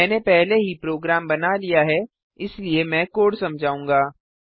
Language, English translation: Hindi, I have already made the program, so Ill explain the code